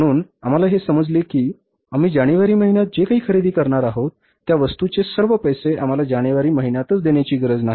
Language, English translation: Marathi, So we get to know that whatever we are going to purchase in the month of January, we are not required to make all the payment for that material in the month of January itself